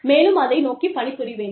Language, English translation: Tamil, And, work towards them